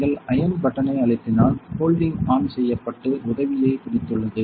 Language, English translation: Tamil, If you press the iron button will behold holding is on and holding help